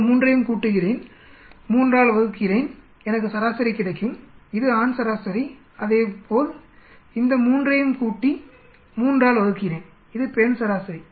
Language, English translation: Tamil, I add all these 3, divided by 3, I will get the average this is the male average, similarly add all these 3, divided by 3, this is female average